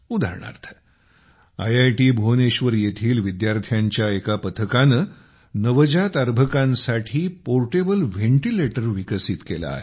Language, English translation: Marathi, For example, a team from IIT Bhubaneswar has developed a portable ventilator for new born babies